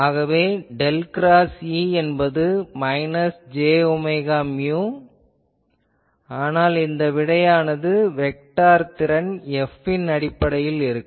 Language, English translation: Tamil, So, del cross E is equal to minus j omega mu, but here since actually this solution will be in terms of the vector potential F actually